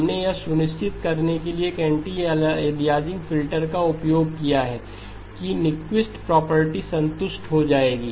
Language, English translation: Hindi, We used an anti aliasing filter to make sure Nyquist property would be satisfied